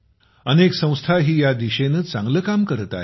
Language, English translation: Marathi, Many institutes are also doing very good work in this direction